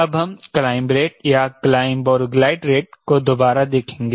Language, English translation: Hindi, revisit climb rate or climb and glide rate